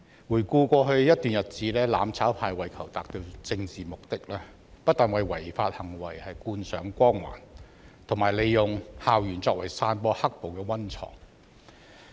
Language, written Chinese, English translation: Cantonese, 回顧過去一段日子，"攬炒派"為求達致其政治目的，不但為違法行為扣上光環，更利用校園作為散播"黑暴"的溫床。, Looking back on the past period of time the mutual destruction camp have not only glorified illegal acts in order to achieve its political objectives but also used school campuses as the breeding ground for spreading the violent riots